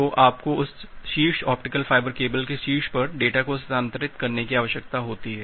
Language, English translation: Hindi, So, you need to transfer the data on top of that top optical fiber cable